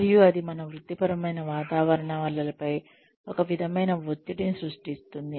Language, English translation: Telugu, And, that is creating, some sort of pressure on our professional environments